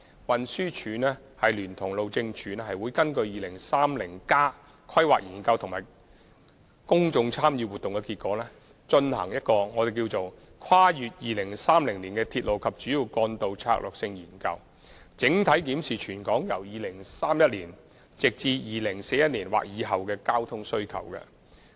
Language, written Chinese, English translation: Cantonese, 運輸署聯同路政署會根據《香港 2030+》及其公眾參與活動的結果，進行一項題為《跨越2030年的鐵路及主要幹道策略性研究》，整體檢視全港由2031年至2041年的交通需求。, Transport Department and Highways Department will conduct Strategic Studies on Railways and Major Roads beyond 2030 based on Hong Kong 2030 and the result of its public engagement exercise to comprehensive review the transport needs of the territory from 2031 to 2041 or beyond